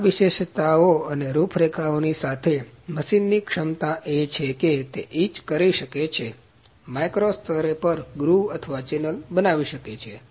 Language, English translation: Gujarati, So, with this fine features and profile, the capability of machine is that it can etch and create a groove, or channel at a micro level